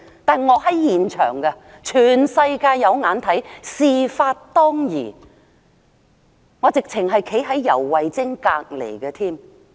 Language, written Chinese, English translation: Cantonese, 但我當時在現場，全世界都看見，事發當時，我正正站在游蕙禎旁邊。, But the whole world could see I was at the scene standing right next to YAU when it happened